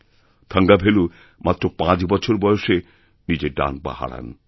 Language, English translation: Bengali, Thangavelu had lost his right leg when he was just 5